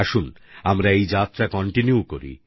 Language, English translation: Bengali, Come, let us continue this journey